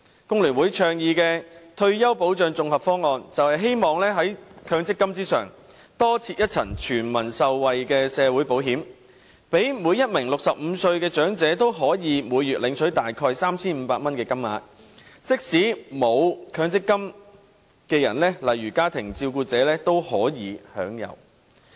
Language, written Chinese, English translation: Cantonese, 工聯會倡議的退休保障綜合方案，便是希望在強積金之上，多設一層全民受惠的社會保險，讓每名65歲的長者均可以每月領取大約 3,500 元的金額，即使沒有強積金的人，例如家庭照顧者也可享有。, The integrated retirement protection scheme advocated by FTU seeks to set up an additional tier of social security with universal coverage on top of MPF so that all elderly persons aged 65 will receive a monthly payment of around 3,500 including people who do not have an MPF account like family carers